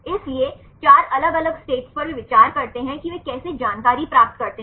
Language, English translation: Hindi, So, 4 different states they consider, how they derived information